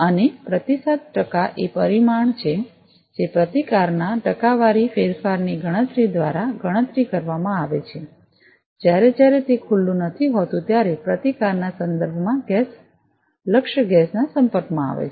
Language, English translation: Gujarati, And the response percent is the parameter, which is calculated by computing the percentage change in the resistance, when exposed to target gas with respect to the resistance when it is not exposed